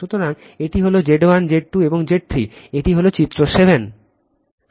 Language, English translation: Bengali, So, this is Z 1, Z 2, and Z 3 this is figure 7